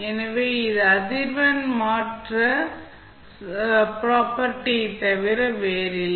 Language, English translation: Tamil, So, this is nothing but frequency shift property